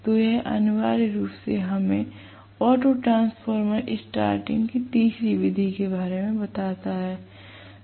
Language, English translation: Hindi, So this essentially tells us about the third method of starting which auto transformer starting